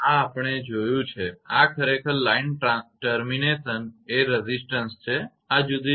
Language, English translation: Gujarati, This we have seen this is actually line termination is resistance these are the different condition